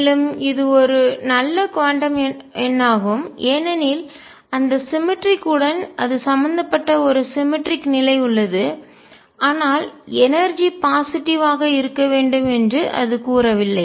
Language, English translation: Tamil, It is also a good quantum number because there is a symmetry it is involved with that symmetry, but it did not say that energy has to be positive